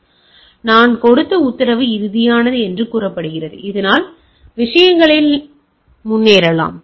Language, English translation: Tamil, So, it is says that the order what I have given is final, you can go ahead with the things